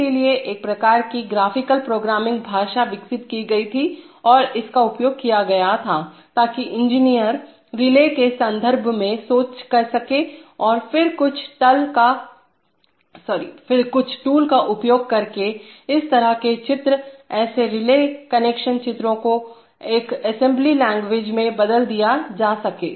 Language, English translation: Hindi, So therefore, a graphical kind of programming language was evolved and it was used to, so that the engineers could think in terms of relays and then using some tool, such pictures, such relay connection pictures could be transformed to an assembly language